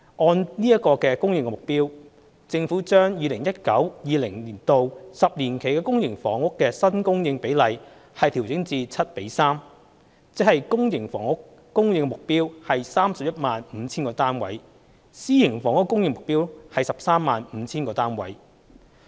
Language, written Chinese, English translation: Cantonese, 按此供應目標，政府將 2019-2020 年度起10年期的公私營房屋新供應比例調整至"七比三"，即公營房屋供應目標為 315,000 個單位，私營房屋供應目標為 135,000 個單位。, Given this supply target the Government will revise the publicprivate split to 7 3 for the 10 - year period starting from 2019 - 2020 ie . the supply target for public housing will be 315 000 units and that for private housing will be 135 000 units